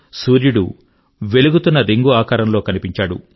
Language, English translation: Telugu, The sun was visible in the form of a shining ring